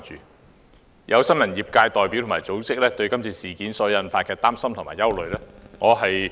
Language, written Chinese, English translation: Cantonese, 我了解並關注新聞業界代表及組織對今次事件的擔心和憂慮。, I understand and am concerned about the worries expressed by representatives of the press sector and news organizations over the incident